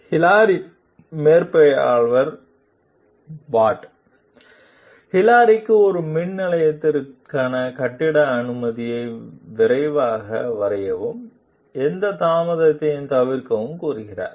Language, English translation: Tamil, Hilary s supervisor, Pat, tells Hilary to quickly draw up a building permit for a power plant and to avoid any delays